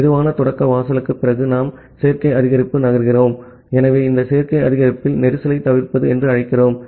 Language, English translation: Tamil, So, after slow start threshold, we move to the additive increase, so in this additive increase, which we call as the congestion avoidance